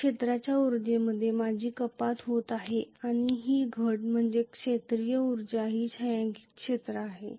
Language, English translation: Marathi, So I am having a reduction in the field energy and the reduction is the field energy is this shaded area